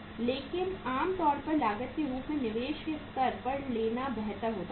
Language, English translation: Hindi, But normally it is better to take as the at the investment level at the cost